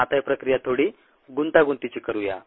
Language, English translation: Marathi, now let us complicate this process a little bit